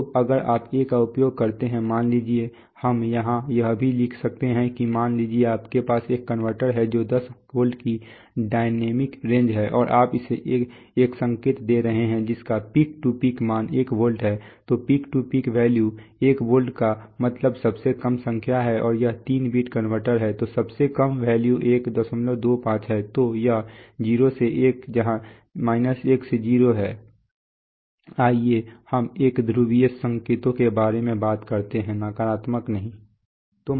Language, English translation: Hindi, So if you use a, let us say, we can write here also that suppose you have a converter which is the dynamic range of 10 volts and you are giving it a signal whose peak to peak value is 1 volt right, so then peak to peak value is 1 volt means the lowest number and it is a 3 bit converter so then the lowest value is 1